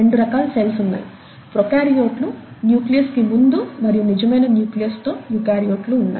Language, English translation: Telugu, There are two major types of cells; first type is called prokaryotes, the second type is called eukaryotes